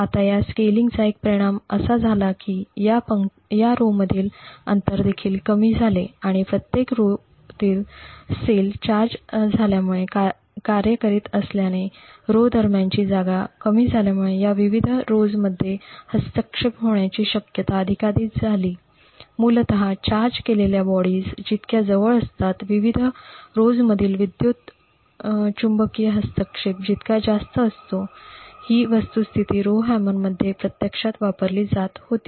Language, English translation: Marathi, Now a consequence of this scaling was that the gap between these rows also reduced and since the cells in each row worked due to the charge present as the space between the rows reduced it became more and more likely that there would be interference between these various rows, essentially the closer the charged bodies are, the higher the electromagnetic interference between the various rows, this fact was actually utilized in the Rowhammer